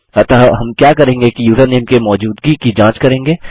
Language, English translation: Hindi, So what we will do is check the existence of the username